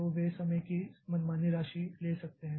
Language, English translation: Hindi, So, they can take arbitrary amount of time